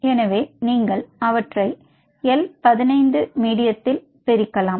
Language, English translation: Tamil, so you can isolate them in l fifteen medium